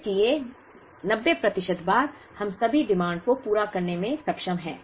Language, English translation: Hindi, So, 90 percent of the times, we are able to meet all the demand